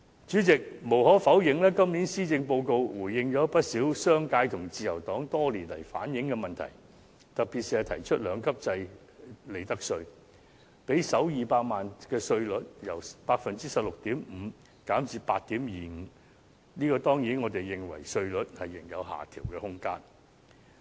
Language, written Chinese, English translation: Cantonese, 主席，無可否認，今年的施政報告回應了不少商界和自由黨多年來反映的問題，特別是提出兩級制利得稅，讓首200萬元利潤的利得稅稅率由 16.5% 減至 8.25%， 但我們當然認為稅率仍有下調空間。, President it is undeniable that this years Policy Address has responded to a number of problems relayed by the business sector and the Liberal Party for years . In particular it has proposed the two - tier profits tax system reducing the profits tax rate for the first 2 million of profits from 16.5 % to 8.25 % but we certainly hold that the tax rate still has room for downward adjustment